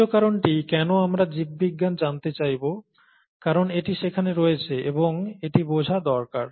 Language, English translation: Bengali, The third reason why we could, we would want to know biology, is because it is there, and needs to be understood